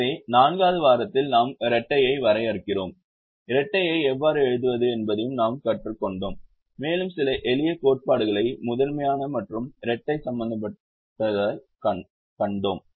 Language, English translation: Tamil, so in the fourth week we define the dual, we also learnt how to write the dual and we saw some some simple theorems that related to primal and the dual